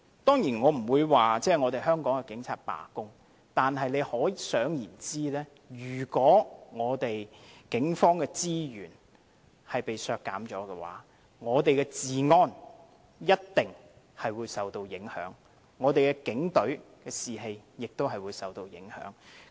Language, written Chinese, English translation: Cantonese, 當然，我並非說香港警察會罷工，但大家可以想象，如果警方的資源被削減，我們的治安一定會受影響，警隊士氣亦會受影響。, Of course I am not saying that Hong Kong police officers will go on strike but one may envisage that if the resources allocated to the Police is cut our law and order will be affected and the morale of the Police will be undermined